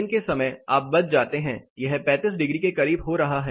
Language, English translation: Hindi, Daytime you are saved it is getting as close to 35 degrees